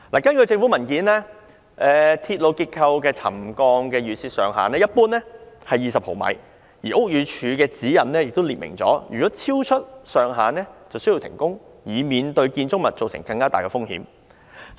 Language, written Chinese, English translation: Cantonese, 根據政府文件，鐵路結構的沉降預設上限一般為20毫米，而屋宇署的指引亦列明若超出上限便須停工，以免對建築物構成更大風險。, According to government papers the set threshold of settlement for railway structures is usually 20 mm and the guidelines of the Buildings Department also state that if the threshold is exceeded construction works must be suspended to avoid posing even greater dangers to structures